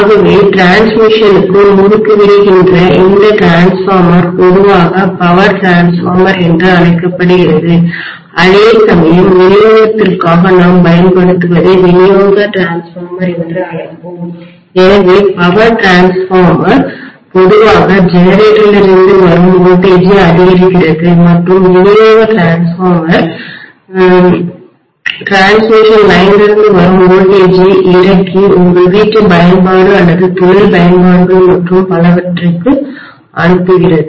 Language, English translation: Tamil, So I would say that this transformer which is stepping up for transmission be normally called that is power transformer, whereas what we use for distribution we will call that as distribution transformer, so power transformers normally step up the voltage from the generator and distribution transformers normally step down the voltage from the transmission line and, you know send it to whatever is your domestic application or industry applications and so on and so forth